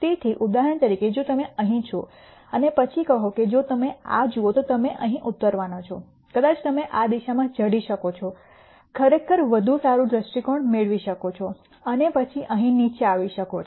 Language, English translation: Gujarati, So, for example, if you are here and then say if you look at this you are going to land up here maybe you can go in this direction climb up actually get a better perspective and then come down here